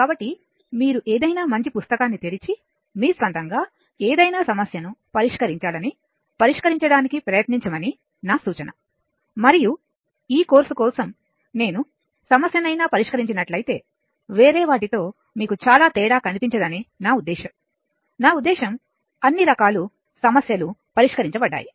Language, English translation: Telugu, So, I will suggest that you open any good book and try to solve some try to solve some problem of your own, and whatever problem had been solved for this course I mean you will not find much difference in others, I mean all varieties of problem have been considered right